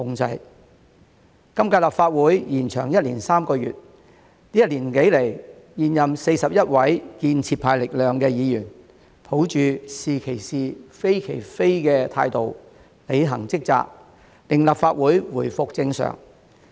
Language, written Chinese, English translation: Cantonese, 本屆立法會延長1年3個月，這一年多來，現任41名建設派力量的議員，抱着"是其是，非其非"的態度，履行職責，令立法會回復正常。, The current Legislative Council has been extended for one year and three months . Over the past year and more the 41 incumbent Members of the constructive camp have been performing their duties with the attitude of speaking out for what is right and against what is wrong in order to bring the Legislative Council back to normal